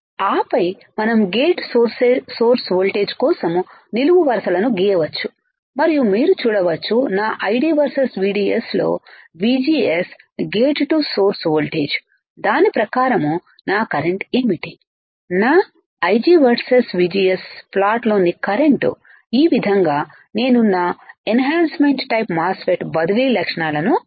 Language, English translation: Telugu, And then we can draw vertical lines for the gate source voltage and then you can see for gate to source voltage in my ID versus VDS, what is my current according to that I will put the current in my I g versus VGS plot this is how I derive my transfer characteristics for the enhancement type MOSFET